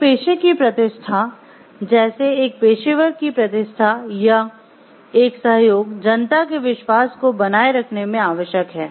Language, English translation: Hindi, The reputation of a profession like the reputation of an individual professional or cooperation is essential in sustaining the trust of public